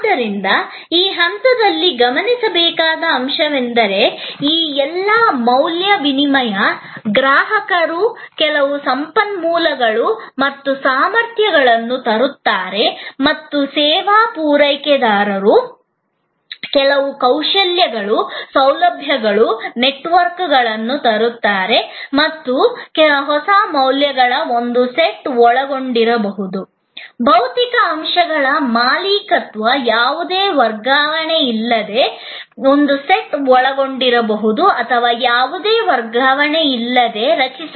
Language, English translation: Kannada, But, the most important point at this stage also to note is that, all these, this exchange of value, where the customer brings certain resources and competencies and the service provider brings certain skills, facilities, networks and together a new set of values are created without any change of ownership of the physical elements involved